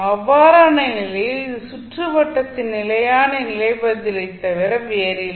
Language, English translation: Tamil, In that case this would be nothing but steady state response of the circuit